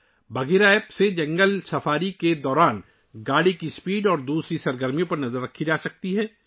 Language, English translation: Urdu, With the Bagheera App, the speed of the vehicle and other activities can be monitored during a jungle safari